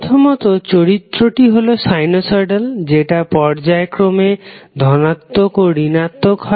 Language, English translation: Bengali, Because the first the characteristic is sinusoidal, it is alternatively going positive and negative